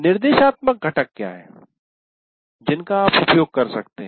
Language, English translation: Hindi, Now what are the instructional components that you can use